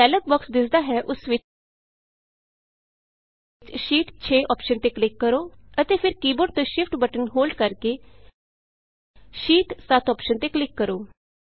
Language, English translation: Punjabi, In the dialog box which appears, click on the Sheet 6 option and then holding the Shift button on the keyboard, click on the Sheet 7 option